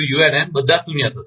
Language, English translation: Gujarati, All will be zero